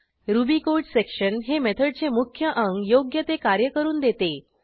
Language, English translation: Marathi, ruby code section represents the body of the method that performs the processing